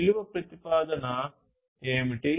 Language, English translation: Telugu, What is the value proposition